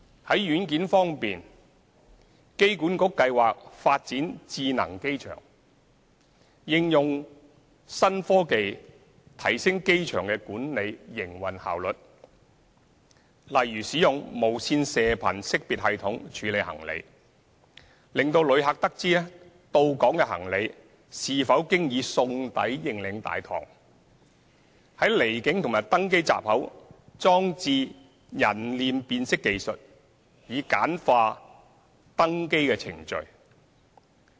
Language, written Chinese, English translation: Cantonese, 在軟件方面，機管局計劃發展智能機場，應用新科技提升機場營運效率，例如使用無線射頻識別系統處理行李，使旅客得知到港行李是否經已送抵認領大堂、在離境及登機閘口裝置人臉辨識技術以簡化登機程序等。, In terms of software AA plans to develop a smart airport and apply new technologies to enhance the efficiency of airport operations . For example Radio Frequency Identification systems will be used to handle baggage so that passengers will know if their baggage has been sent to the baggage reclaim hall and face recognition technology will be used at the departure and boarding gates to simplify boarding procedures etc